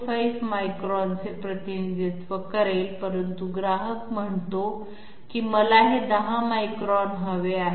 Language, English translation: Marathi, 25 microns, but the customer says I want this to be 10 microns